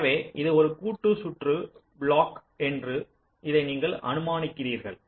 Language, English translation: Tamil, so you assume that this is a combinational circuit block